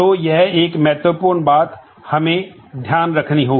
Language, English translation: Hindi, So, that will be a critical factor that will have to keep in mind